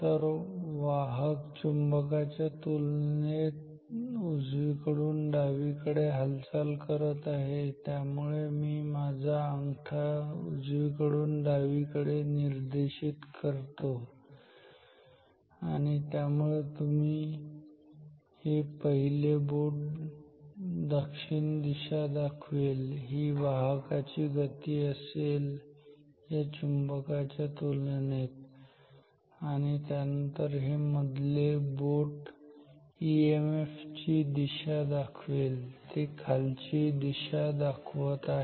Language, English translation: Marathi, So, let me point my thumb from right to left and so this first finger is the direction of flux this is the motion of the conductors, with respect to the magnet then this middle finger is going to be the direction of the EMF and it is pointing downwards